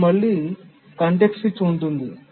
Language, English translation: Telugu, So, there is again a context switch